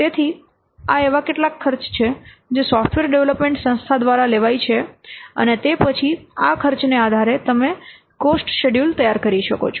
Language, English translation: Gujarati, So, these are some of the what charges, these are some of the costs that the software development organization may have to incur and then based on this cost you can prepare the cost schedule